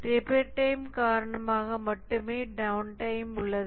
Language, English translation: Tamil, The only downtime is due to the repair time